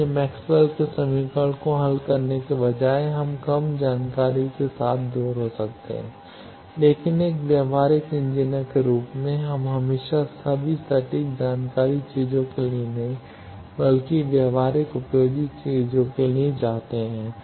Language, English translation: Hindi, So, that instead of solving Maxwell’s equation we can get away with lesser information, but as an practical engineer we always not go for all exact information things, but the practical useful things